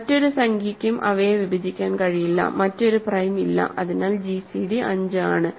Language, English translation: Malayalam, No other integer can divide them, no other prime, so it is gcd 5